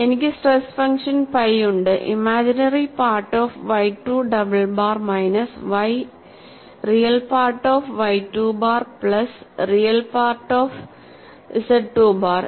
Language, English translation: Malayalam, So, I have stress function phi as imaginary part of y 2 double bar minus y real part of y 2 bar plus real part of z 2 bar